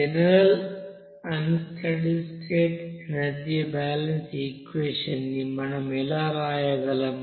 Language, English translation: Telugu, And general unsteady state energy balance equation how we can write